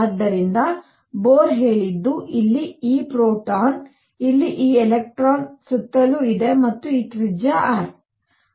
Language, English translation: Kannada, So, what Bohr said is here is this proton, here is this electron going around and this radius r